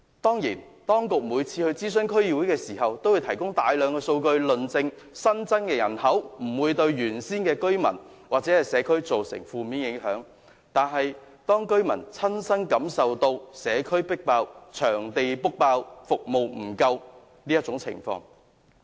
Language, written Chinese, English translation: Cantonese, 當然，當局每次諮詢區議會均會提供大量數據，證明新增人口不會對原有的居民或社區造成負面影響，但當區居民的親身感受卻是社區爆滿、場地預約額滿及服務不足。, Of course whenever the relevant District Council was consulted the authorities would produce a lot of data to prove that the additional population would not have any adverse effect on the original residents or community but according to the first - hand experience of local residents the community is overcrowded venues are fully booked and services are lacking